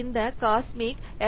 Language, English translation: Tamil, That is Cosmic's